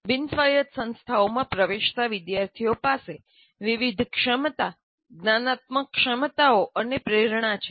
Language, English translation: Gujarati, The students entering non autonomous institutions have widely varying competencies, cognitive abilities and motivations